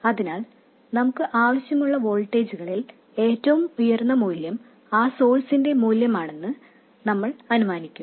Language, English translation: Malayalam, So, we will assume that highest of the voltages that we want, we have a source of that value